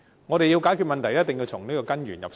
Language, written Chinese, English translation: Cantonese, 我們要解決問題，一定要從根源入手。, To resolve the issue it is essential for us to tackle the problems at root